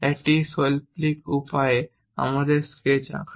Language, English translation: Bengali, In artistic way, we draw sketches